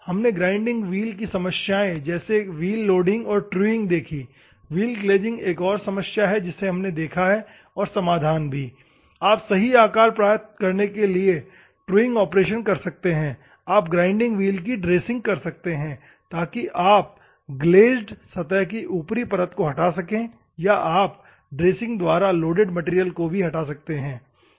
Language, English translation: Hindi, Wheel problems, wheel grinding wheel loading, truing these are the problems, wheel glazing is another problem, that we have seen and the solutions you can do the truing operation to get the true shape, we can remove, you can do the dressing operations, so that you can remove the top layer of the glazed surface or you can also remove the loaded material by the dressing operation